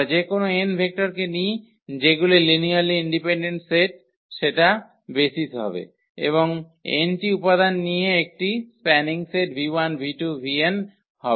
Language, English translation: Bengali, We pick any n vectors which are linearly independent that will be the basis and any spanning set v 1 v 2 v 3 v n with n elements